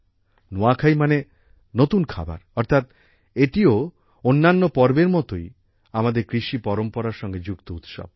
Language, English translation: Bengali, Nuakhai simply means new food, that is, this too, like many other festivals, is a festival associated with our agricultural traditions